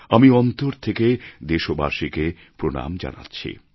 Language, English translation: Bengali, I heartily bow to my countrymen